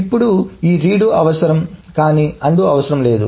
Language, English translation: Telugu, Now this redo is needed but undo is not needed